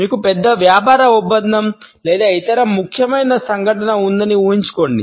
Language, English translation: Telugu, Imagine you have a major business deal coming up or some other important event